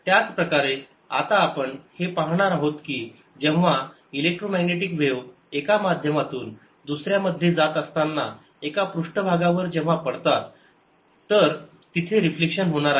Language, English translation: Marathi, in a similar manner we are now going to see that when electromagnetic waves fall from on a surface, from one medium to the other, there is going to be reflection